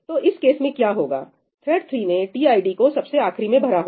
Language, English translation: Hindi, So, in this case what has happened thread 3 filled up tid last, right